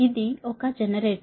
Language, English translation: Telugu, this is, this is one generator